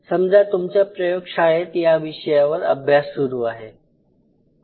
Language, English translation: Marathi, So, say for example, your lab has been working on this area